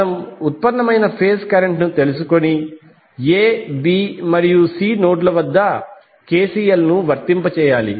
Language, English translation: Telugu, We have to take the phase current which we derived and apply KCL at the notes A, b and C